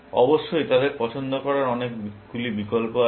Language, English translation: Bengali, Of course, there are many choices that they all have